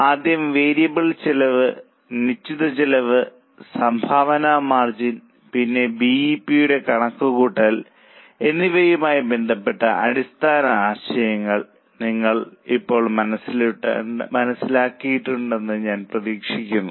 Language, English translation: Malayalam, I hope you have understood the basic concepts now relating to, first about variable cost, fixed cost, then the contribution margin and then about the calculation of BEP